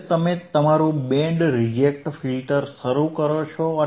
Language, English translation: Gujarati, So, this is your Band reject filter right